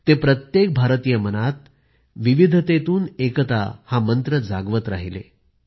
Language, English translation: Marathi, He was invoking the mantra of 'unity in diversity' in the mind of every Indian